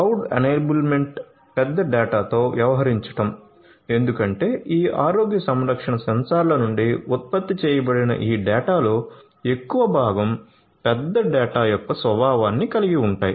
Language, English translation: Telugu, Cloud enablement, you know dealing with big data because most of this data that is generated from these healthcare sensors have the nature of big data